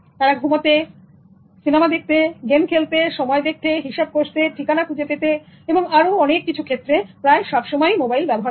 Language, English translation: Bengali, They are sleeping, playing games, watching movies, using mobile for checking time, calculation, address and so on